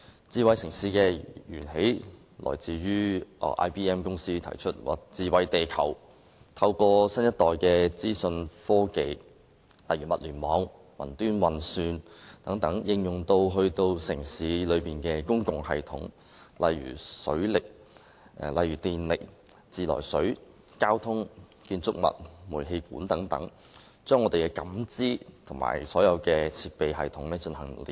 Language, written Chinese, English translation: Cantonese, 智慧城市的源起來自 IBM 公司提出的"智慧地球"概念，透過新一代資訊科技，例如物聯網、雲端運算等，應用於城市的公共系統，例如電力、自來水、交通、建築物和煤氣管等，把人們的感知和所有設備系統連繫起來。, Smart city stems from the IBMs Smarter Planet concept of applying next generation information technology such as Internet of Things cloud computing and so on to the public systems of cities such as electricity water supply transport buildings gas mains and so on with a view to connecting the perception of humans with all equipment and systems